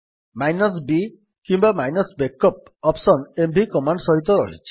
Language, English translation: Odia, Then b or –backup option is present with the mv command